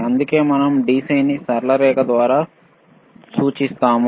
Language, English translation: Telugu, That is why we indicate DC by a straight line